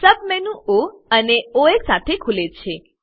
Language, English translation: Gujarati, A Submenu opens with O and Os